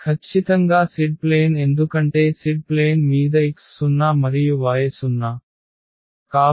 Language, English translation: Telugu, And this is exactly the z axis because on the z axis the x is 0 and y is 0